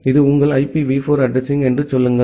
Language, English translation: Tamil, Say this is your IPv4 address